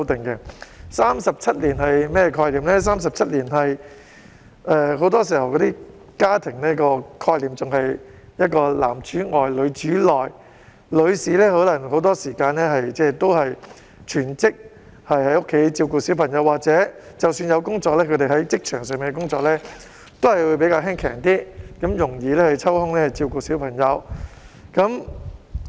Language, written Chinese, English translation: Cantonese, 在37年前，家庭概念仍然是男主外、女主內，女士很多時候也要全職在家照顧小孩，即使有工作，她們在職場上的工作也會較簡單，容易抽空照顧小孩。, Thirty - seven years ago the concept that women were to take care of the family while men were to work outside was still deep rooted in society women often had to work full - time as a housewife in order to take care of their children at home . Even though some might have other jobs their jobs would mostly be simple ones so that they could spare the time to take care of their kids